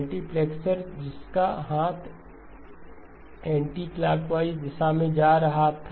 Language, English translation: Hindi, Multiplexer with the arm going in the anti clockwise direction